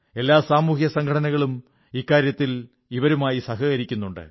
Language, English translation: Malayalam, Many social organizations too are helping them in this endeavor